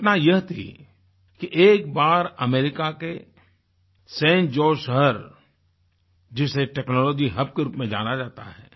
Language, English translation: Hindi, It so happened that once I was interacting with Indian youth in San Jose town of America hailed as a Technology Hub